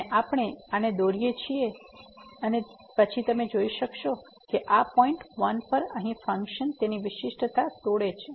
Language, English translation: Gujarati, And we can plot this one and then again you can see that at this point 1 here the function breaks its differentiability